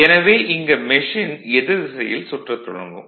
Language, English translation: Tamil, So, machine will rotate in the opposite direction right